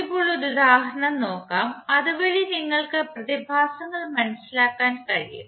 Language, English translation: Malayalam, Now let’s take one example, so that you can understand the phenomena